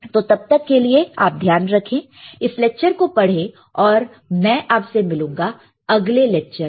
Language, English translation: Hindi, So, till then you take care; read this particular lecture, and I will see you in the next lecture